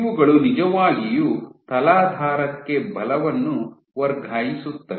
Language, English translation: Kannada, These are the ones which actually transfer forces to the substrate